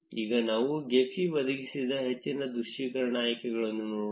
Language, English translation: Kannada, Now, let us look at more visualization options provided by Gephi